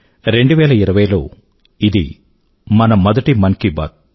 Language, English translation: Telugu, This is our first meeting of minds in the year 2020, through 'Mann Ki Baat'